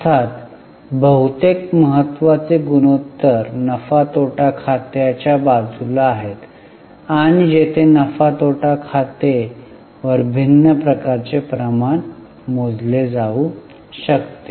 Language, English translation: Marathi, Of course most of the important ratios are on the side of P&L where a different type of ratios can be calculated on P&L